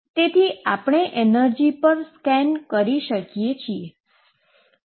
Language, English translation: Gujarati, So, we can scan over the energy and see what happens